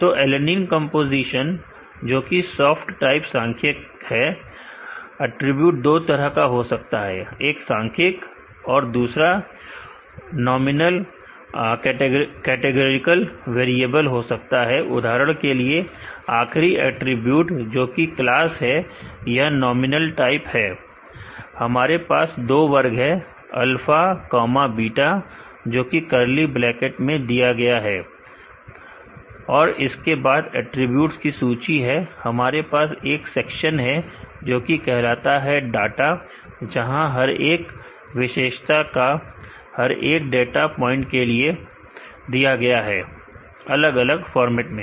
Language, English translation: Hindi, So, alanine composition which is soft type numeric, attribute can be of two type, one can be numeric the other can be nominal categorical variable for example, the last attribute which is a class is a nominal type, we have two categories alpha comma beta, which is given in the curly bracket followed by the list of attribute, we have a section called data a data, where each features are given for each data point in a separated format